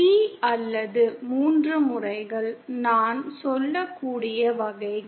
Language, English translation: Tamil, T or Three modes, types I can say